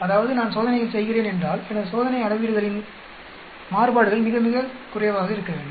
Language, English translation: Tamil, That means, if I am doing experiments the variations in my experimental measurements should be very, very, very less